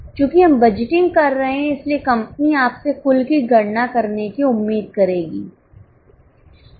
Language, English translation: Hindi, Since we are in the budgeting, company would expect you to calculate total as well